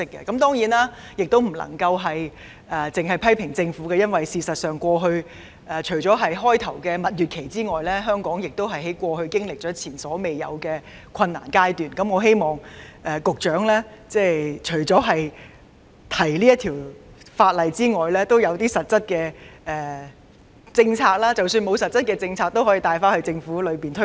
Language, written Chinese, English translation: Cantonese, 當然，我不能只批評政府，因為事實上，除了開初的蜜月期外，香港在過去經歷了前所未有的困難階段，故我希望局長除了提交《條例草案》外，也要推行實質的相應政策，即使沒有實質的政策，也可以在政府內部大力推動。, Of course I should not blame only her Administration because as a matter of fact Hong Kong has gone through an unprecedentedly difficult period in the past except for the honeymoon phase at the very beginning . That is why I hope that the Secretary will apart from introducing the Bill launch corresponding substantial policy or if there is no substantive policy vigorously promote childbearing within the civil service